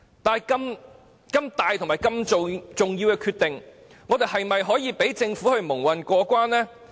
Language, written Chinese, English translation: Cantonese, 但是，如此重大和重要的決定，我們是否應該讓政府蒙混過關？, But should we just let the Government muddle through this significant and important decision?